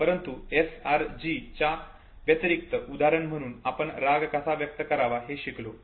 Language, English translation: Marathi, But besides SRG’s say for instance if you learn how to express anger, okay